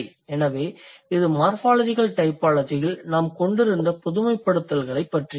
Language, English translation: Tamil, So, that's all about the generalizations that we have had in morphological typology